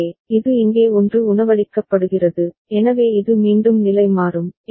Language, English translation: Tamil, So, then this is 1 fed back here, so this will again toggle